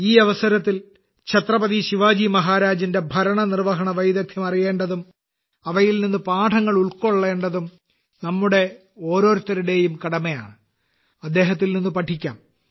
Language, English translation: Malayalam, It is the duty of all of us to know about the management skills of Chhatrapati Shivaji Maharaj on this occasion, learn from him